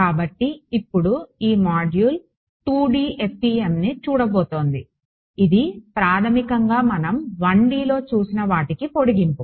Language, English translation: Telugu, So, now so, this module is going to look at 2D FEM which is basically an extension of whatever we have looked at in 1D